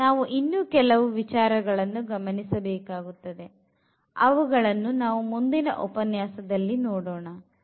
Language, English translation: Kannada, There are a few more points to be noted here and we will explore them in the next lecture again